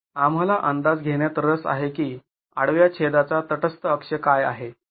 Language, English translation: Marathi, So, we are interested in estimating what is the neutral axis of this cross section